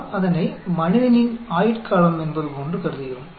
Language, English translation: Tamil, We assume that as the human life span